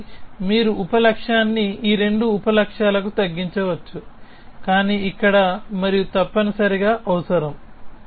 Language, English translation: Telugu, So, you can reduce the sub goal to these 2 sub goals, but there is and here essentially